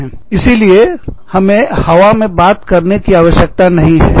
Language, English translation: Hindi, So, you must not talk, in thin air